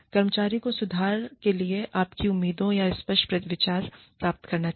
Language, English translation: Hindi, The employee should gain a clear idea, of your expectations, for improvement